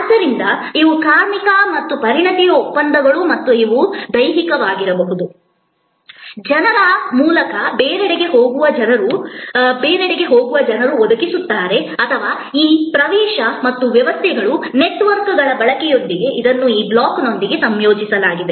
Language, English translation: Kannada, So, these are labor and expertise contracts and these can be physically provided by people going elsewhere through people or it could be combined with this block with this access to and usage of systems and networks